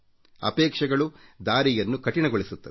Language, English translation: Kannada, Expectations make the path difficult